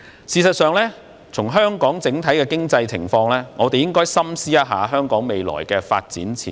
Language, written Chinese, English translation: Cantonese, 事實上，因應香港的整體經濟情況，我們應該深思一下香港未來的發展前景。, In fact in the light of the overall economic situation in Hong Kong we should deeply ponder the future development prospects of Hong Kong